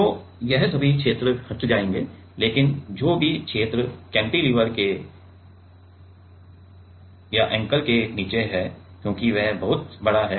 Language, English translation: Hindi, So, all of these regions will get etched away, but whichever region is below the anchor as this is much bigger